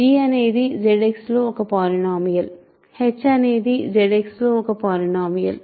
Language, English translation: Telugu, So, g is some polynomial in Z X, h is some polynomial in Z X